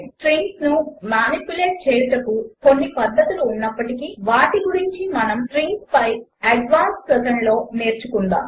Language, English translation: Telugu, Although there are some methods which let us manipulate strings, we will look at them in the advanced session on strings